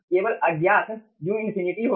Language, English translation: Hindi, only unknown will be u infinity